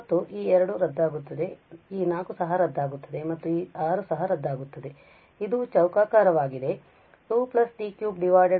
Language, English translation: Kannada, And so this 2 will get cancelled this 4 will also get cancelled and this 6 will also cancelled, this is square